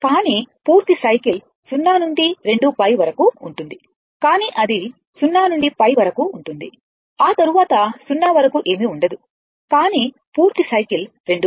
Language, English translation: Telugu, But complete cycle is 0 to 2 pi right, but it is going your up to 0 to pi after that, nothing is there till 0, but your total your complete cycle is 2 pi